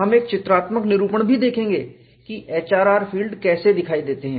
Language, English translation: Hindi, And we would see how the HRR field looks like